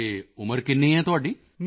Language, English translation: Punjabi, And how old are you